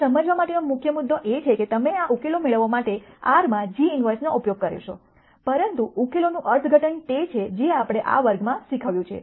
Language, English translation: Gujarati, Now, the key point to understand is you simply use g inverse in R to get these solutions, but the interpretation of these solutions is what we have taught in this class